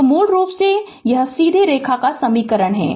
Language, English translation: Hindi, So, basically this is equation of straight line